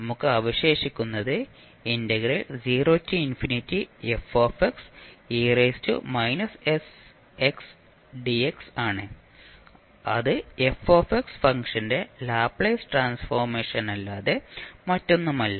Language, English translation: Malayalam, So you will simply say that the Laplace transform of this is s